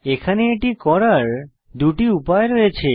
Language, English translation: Bengali, Again, there are two ways to do this